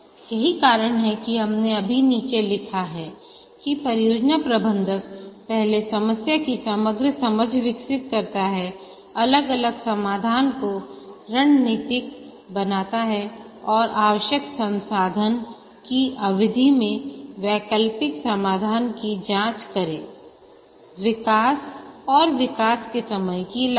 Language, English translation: Hindi, That's what we have just written down here that the project manager first develops an overall understanding of the problem, formulates the different solution strategies, and examines the alternate solutions in terms of the resource required cost of development and development time, and forms a cost benefit analysis